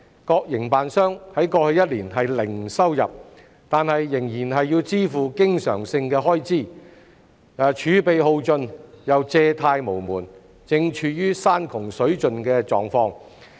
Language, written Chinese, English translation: Cantonese, 各營辦商在過去一年零收入，但仍要支付經常性開支，儲備耗盡又借貸無門，正處於山窮水盡的狀況。, As the various operators had to meet overheads despite having zero income during the past year they have used up their reserves and have no way to borrow money and are at the end of their tether